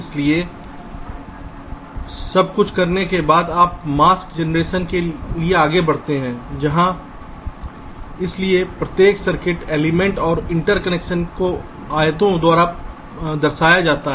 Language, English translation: Hindi, ok, so, after everything is done, you proceed for mask generation, where so every circuit, element and interconnection are represented by rectangles